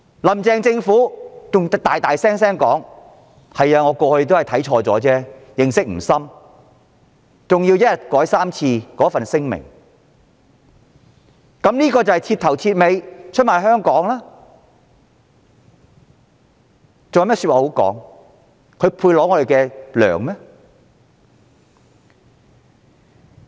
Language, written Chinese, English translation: Cantonese, "林鄭"政府還公然承認過往有錯，對《基本法》認識不深，更在一天內三度修改新聞稿，這是徹頭徹尾出賣香港的事實，她還有何辯解，還配支薪嗎？, The Carrie LAM Administration has also publicly admitted its previous mistake and lack of understanding of the Basic Law and has even revised its press releases three times in a day . Given the indisputable fact that she has sold Hong Kong down the river she cannot even defend herself and does not deserve to get paid